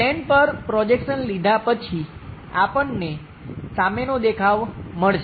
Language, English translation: Gujarati, After after projection onto the planes, we will get a front view